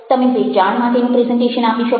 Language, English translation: Gujarati, you can make a sales presentation